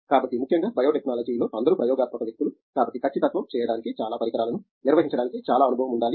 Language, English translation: Telugu, So, especially in biotechnology all experimental people, so need to have lot of experience to handle lot of equipment’s to do an accuracy